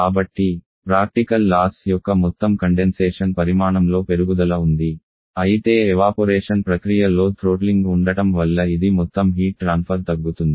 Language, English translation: Telugu, So there is an increase in the total condensation amount of heat loss what is evaporation process because of the presence of the throttling